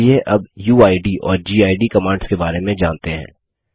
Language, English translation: Hindi, Let us now talk about the uid and gid commands